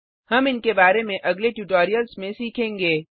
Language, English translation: Hindi, We will learn about these in the coming tutorials